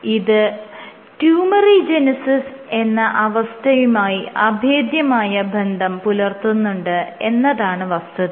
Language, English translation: Malayalam, So, this has been linked to tumorigenesis